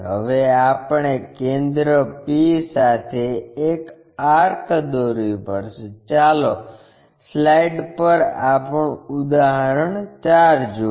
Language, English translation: Gujarati, Now, we have to draw an arc with center p; let us look at our example 4 on the slide for the steps